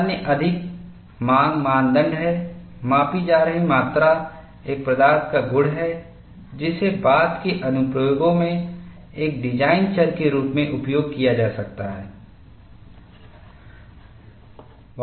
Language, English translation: Hindi, The other, more demanding criterion is, the quantity being measured is a physical property that can be used in later applications as a design variable